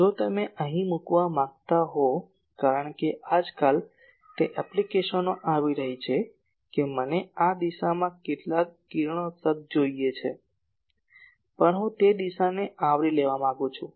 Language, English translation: Gujarati, If you want to put here , because nowadays those applications are coming that some radiation I want in this direction; also I want to cover that direction